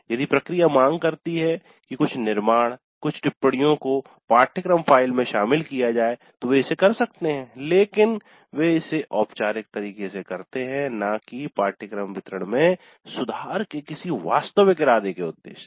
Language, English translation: Hindi, If the process demands that certain constructions, certain comments be included in the course file, they might do it but again in a more formal way rather than with any real intent at improving the course delivery